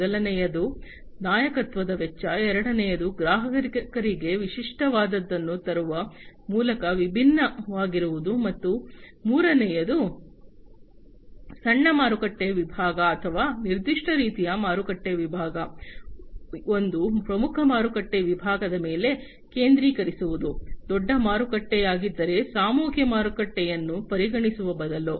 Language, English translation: Kannada, The first one is the cost of leadership, the second thing is the differentiation by bringing something that is unique to the customers, and the third is the focus on a small market segment or a specific type of market segment, a niche market segment, rather than considering a mass market, if you know a bigger market